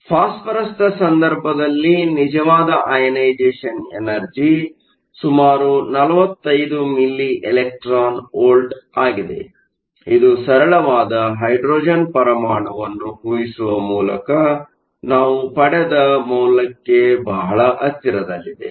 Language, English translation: Kannada, In the case of phosphorous, the actual ionization energy is around 45 milli electron volts, which is very close to the value that we got by assuming a simple hydrogen atom